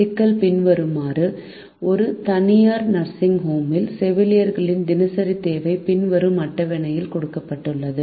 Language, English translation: Tamil, the problem is as follows: the daily requirement of nurses in a private nursing home is given in the following table